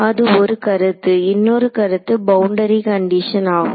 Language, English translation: Tamil, And that is one concept, the other concept was the boundary condition